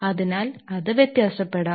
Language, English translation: Malayalam, So, it can vary